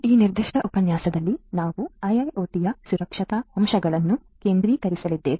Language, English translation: Kannada, In this particular lecture, we are going to focus on the Security aspects of a IIoT